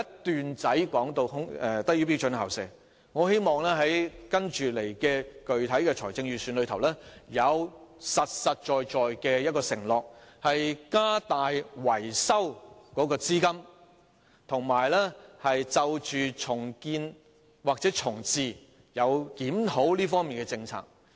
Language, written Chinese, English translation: Cantonese, 施政報告有一小段提及"低於標準校舍"，我希望在接下來的財政預算案裏會有具體、實在的承諾，加大維修資金，以及檢討有關重建或重置這些學校的政策。, I hope that in the upcoming Budget there will be specific and concrete promises to increase the funding for maintenance and review the policy for the redevelopment or reprovisioning of these schools